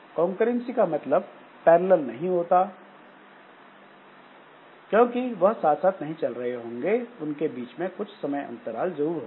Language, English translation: Hindi, So, concurrency does not mean parallelism because they may not be progressing simultaneously